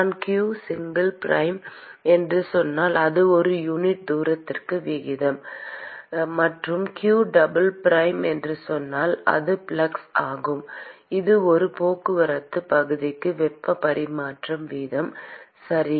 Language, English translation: Tamil, When I say q single prime, it is rate per unit distance and when I say q double prime it is the flux that is the rate of heat transfer per transport area, okay